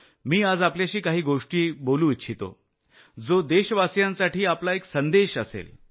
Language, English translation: Marathi, I want to speak to you today on something that will be a message for our countrymen